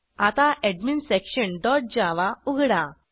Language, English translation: Marathi, Now, Open AdminSection dot java